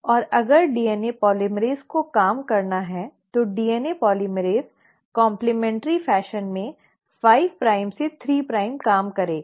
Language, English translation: Hindi, And if the DNA polymerase has to work, the DNA polymerase will work in the complimentary fashion 5 prime to 3 prime